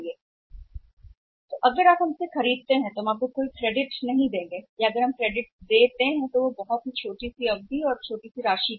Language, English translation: Hindi, So, if you buy from us will give you the no credit or if you will give you the credit for you for a minimum period of time and the minimum amount